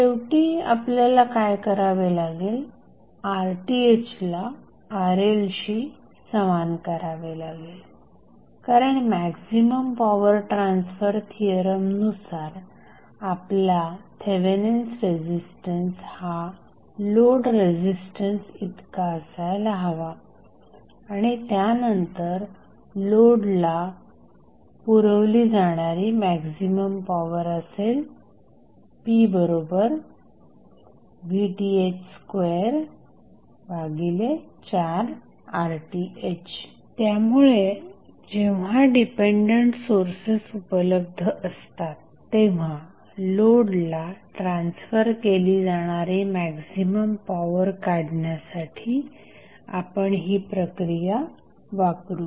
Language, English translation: Marathi, Finally, what you have to do you have to set Rth is equal to Rl because as per maximum power transfer theorem, your Thevenin resistance should be equal to the load resistance and then your maximum power transfer condition that is maximum power transfer being supplied to the load would be given us p max is nothing but Vth square upon Rth upon 4Rth so, will utilize this process to find out the maximum power being transferred to the load when dependent sources are available